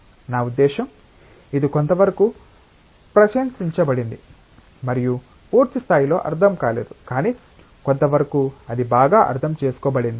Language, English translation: Telugu, I mean it is somewhat appreciated and understood not to the fullest extent, but to some extent it has been well understood